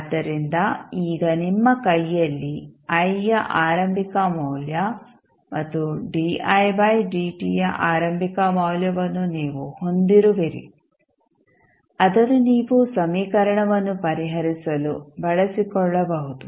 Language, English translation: Kannada, So, now you have the initial value of I and initial value of di by dt in your hand which you can utilize to solve the equation